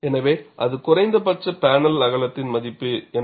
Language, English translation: Tamil, So, that dictates what is the value of the minimum panel width